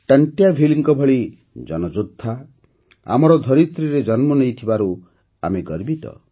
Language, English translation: Odia, We are proud that the warrior Tantiya Bheel was born on our soil